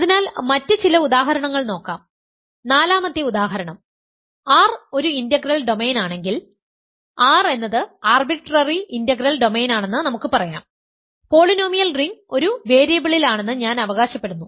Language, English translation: Malayalam, So, some other examples; so, fourth example if R is an integral domain; so, let us say R is an arbitrary integral domain then I claim that the polynomial ring in 1 variable